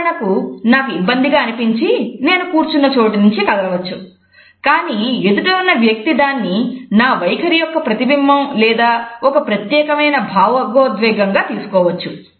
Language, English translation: Telugu, For example, I may be uncomfortable and I am shifting my position, but the other person may understand it as a reflection of an attitude or a certain emotion